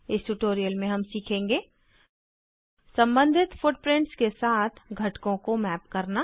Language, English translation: Hindi, Now we will map the components with their associated footprints